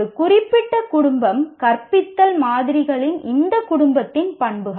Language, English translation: Tamil, A particular family, this characteristics of this family of teaching models